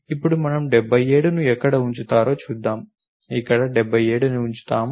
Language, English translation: Telugu, So, now let see where we will put 77 we will put 77 over here